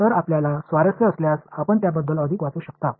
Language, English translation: Marathi, So, if you are interested you can read more on that